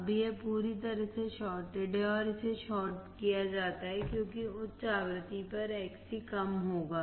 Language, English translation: Hindi, Now it is completely shorted and it is shorted because at high frequency Xc would be less